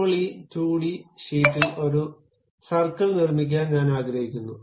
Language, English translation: Malayalam, Now, I would like to construct a circle on this 2d sheet